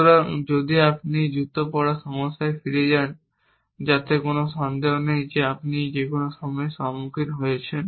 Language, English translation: Bengali, So, if you go back to this shoe wearing problem which no doubt you have encountered at some point